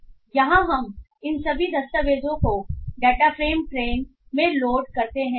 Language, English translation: Hindi, So here we load all these documents into the data frame tray